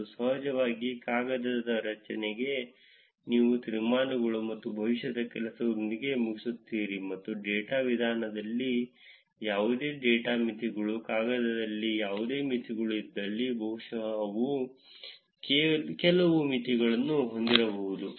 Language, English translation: Kannada, And of course, in the paper structure, you finish off with the conclusions and future work and probably have some limitations if there are any data limitations in data methodology, any limitations in the paper, right